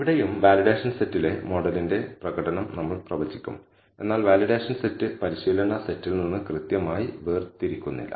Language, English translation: Malayalam, Here again, we will predict the performance of the model on the validation set, but the validation set is not separated from the training set precisely